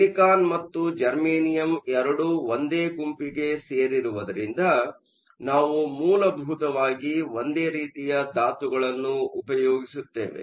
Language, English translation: Kannada, Since, both silicon and germanium belong to the same group, we essentially use the same elements